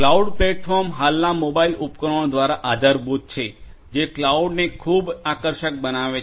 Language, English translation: Gujarati, Cloud platforms are supported by the present day mobile devices that also makes cloud very attractive